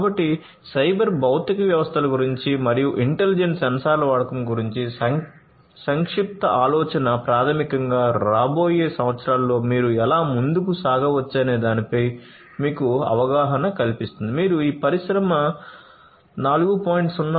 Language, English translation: Telugu, So, this brief of brief idea about cyber physical systems and the use of intelligent sensors basically equips you with an understanding of how you can go forward in the years to come, if you have to make your industry compliant with Industry 4